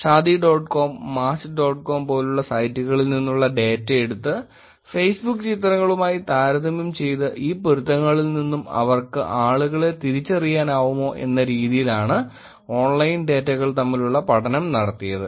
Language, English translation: Malayalam, The online and online study that they did was to take up data from Shaadi dot com type of sites like Match dot com compare it to Facebook pictures, then see whether they were able to identify people from this matches